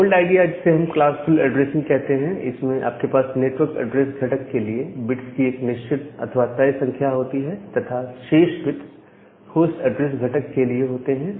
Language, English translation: Hindi, So, the old idea was to use something called a classful addressing, where you have fixed number of bits for this network address component, and the remaining bits was for the host address component